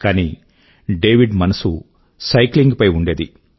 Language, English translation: Telugu, But young David was obsessed with cycling